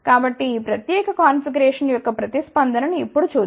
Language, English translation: Telugu, So, let us see now the response of this particular configuration